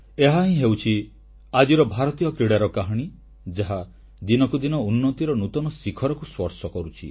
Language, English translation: Odia, This is the real story of Indian Sports which are witnessing an upswing with each passing day